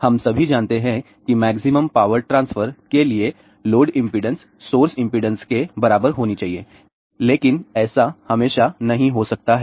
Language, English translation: Hindi, We all know that for maximum power transfer, the load impedance should be equal to source impedance, but that may not be always the case